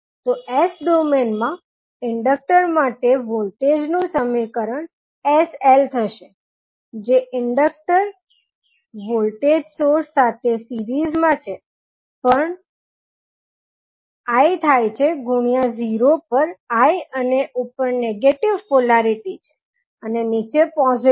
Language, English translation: Gujarati, So, the equation for voltage in s domain for the inductor will become sl that is the inductor in series with voltage source equal to l at l into I at 0 and with negative polarity on top and positive in the bottom